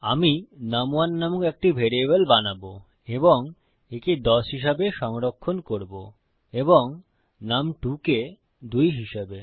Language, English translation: Bengali, Ill create a variable called num1 and Ill save that as value equal to 10 and num2 is equal to 2